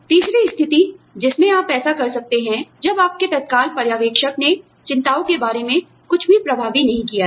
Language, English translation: Hindi, The third situation, in which, or, the third condition, in which, you can do this is, when your immediate supervisor, has done nothing effective, about the concerns